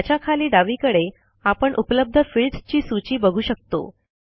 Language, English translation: Marathi, Below this, we see a list of available fields on the left hand side